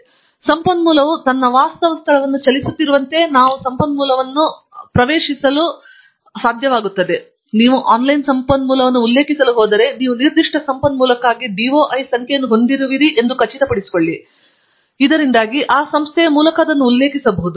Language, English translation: Kannada, And therefore, we will be able to access the resource as the resource keeps moving its actual location; and that means that if you are going to refer to an online resource, make sure that you have a DOI number for the particular resource, so that you can refer to it by that number